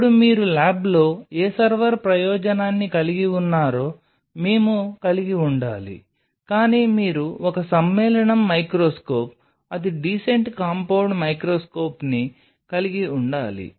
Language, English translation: Telugu, Now, you have needed to have we will what server purpose you have in the lab, but you needed to have a compound microscope decent compound microscope